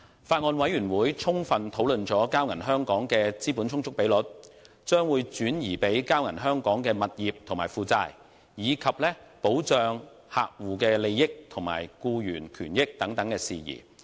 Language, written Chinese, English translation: Cantonese, 法案委員會充分討論了交銀香港的資本充足比率、將會轉移給交銀香港的物業及負債，以及客戶利益和僱員權益的保障等事宜。, Various issues including the capital adequacy ratio of and property and liabilities to be transferred to Bank of Communications Hong Kong were thoroughly discussed . The Bills Committee also discussed in detail the protection of customers interests and employees benefits